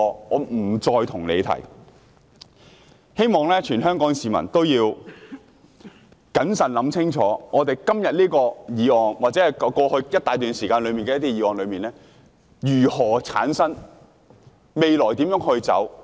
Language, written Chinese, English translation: Cantonese, 我希望全港市民都謹慎思考，想清楚我們今天這項議案，以及過去一大段時間內的一些議案為何會出現，我們未來要如何走。, I hope that all Hong Kong people will exercise prudence and think carefully about the reasons why we have this motion today as well as certain motions that have come up over the past period of time and how we should draw our blueprint for the future